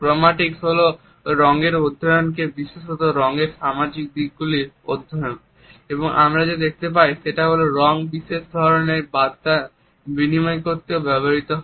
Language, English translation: Bengali, Chromatics is a study of colors particularly the social aspects and we find that color is also used to communicate a particular type of message